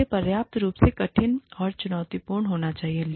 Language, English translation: Hindi, It has to be sufficiently, difficult and challenging